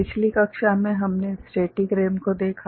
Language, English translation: Hindi, In the last class we looked at static RAM